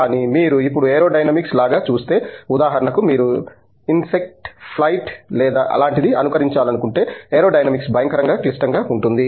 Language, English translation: Telugu, But, if you now look at like it is aerodynamics like for example, if you want to mimic insect flight or some such thing, the aerodynamics is horrendously complicated